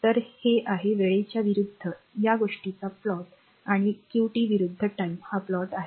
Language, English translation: Marathi, So, this is the plot of your this thing it versus time and this is your qt versus time this is the plot